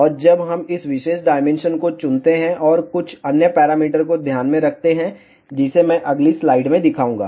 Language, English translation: Hindi, And when we choose this particular dimension, and take some other parameters into account, which I will show in the next slide